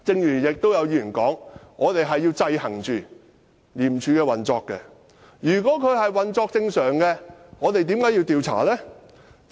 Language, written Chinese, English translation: Cantonese, 也有議員說，我們要制衡廉署的運作，但如果廉署運作正常，我們為何要調查？, Some Members have said that we have to exercise checks and balances over the operation of ICAC . But if ICAC is operating regularly why do we have to investigate?